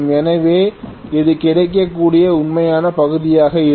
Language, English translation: Tamil, So this is going to be the real part that is available